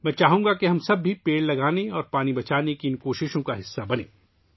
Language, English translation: Urdu, I would like all of us to be a part of these efforts to plant trees and save water